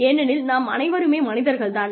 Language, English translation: Tamil, Because, we are all humans